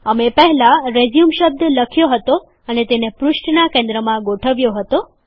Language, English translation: Gujarati, We had previously typed the word RESUME and aligned it to the center of the page